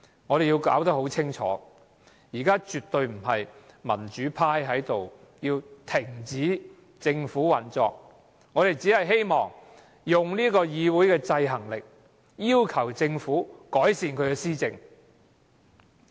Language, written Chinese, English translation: Cantonese, 我們要弄清楚，現時絕對不是民主派在這裏要政府停止運作，我們只希望用議會制衡政府的權力，要求政府改善施政。, We have to clarify that the democrats definitely do not intend to suspend government operation; we only want this Council to keep the Government in check and ask the Government to improve governance